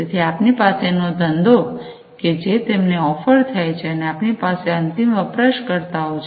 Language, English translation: Gujarati, So, we have the business, who is offering it, and we have the end users